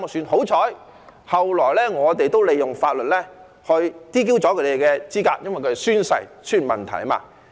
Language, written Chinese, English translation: Cantonese, 幸好，後來我們也利用法律 "DQ" 他們的資格，因為他們在宣誓時出現問題。, Fortunately laws were subsequently invoked to DQ these people because of problems with their oath - taking